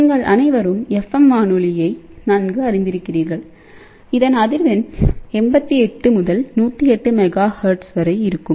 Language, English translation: Tamil, So, you all are familiar with fm radio with the frequency band is 88 to 108 megahertz